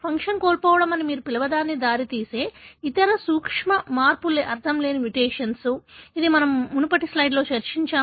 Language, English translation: Telugu, The other subtle change that can again lead to what you call as loss of function is nonsense mutation that is just now we discussed in the previous slide